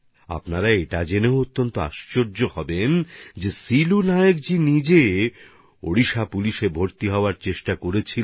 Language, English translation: Bengali, By the way, you will also be amazed to know that Silu Nayak ji had himself tried to get recruited in Odisha Police but could not succeed